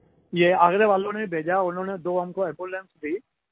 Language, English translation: Hindi, The Agra Doctors provided us with two ambulances